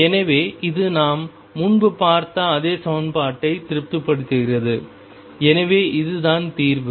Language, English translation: Tamil, So, this satisfies the same equation as we saw earlier and therefore, this is the solution